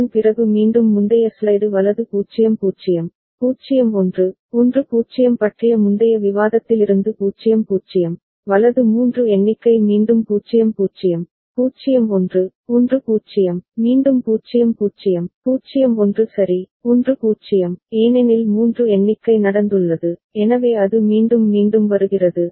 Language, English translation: Tamil, After that again 0 0 from the previous discussion on the previous slide right 0 0, 0 1, 1 0, right a count of 3 has taken place again 0 0, 0 1, 1 0, again 0 0, 0 1 ok, 1 0, because count of 3 has taken place, so it is repeating right